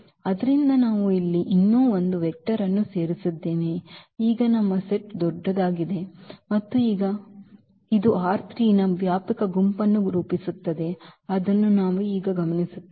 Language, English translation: Kannada, So, we have added one more vector here now our set here is bigger and now again this also forms a spanning set of R 3 that is what we will observe now